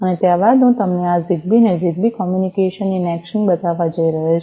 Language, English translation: Gujarati, And thereafter, I am going to show you this ZigBee in ZigBee communication in action